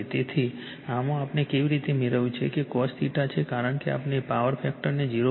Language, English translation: Gujarati, So, this one how we have got in this is , your cos theta ; we want to improve the power factor to 0